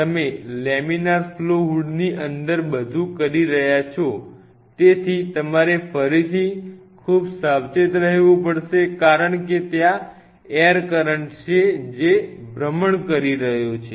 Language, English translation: Gujarati, Once and you are doing everything inside the laminar flow hood so, you have to be again very cautious because there is an air current which is moving be very careful be very careful